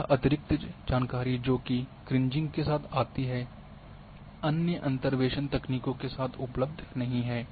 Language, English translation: Hindi, So, this extra information which comes with the Kriging is not available with other interpolation techniques